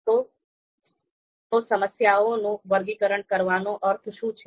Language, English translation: Gujarati, So what do we mean by sorting problems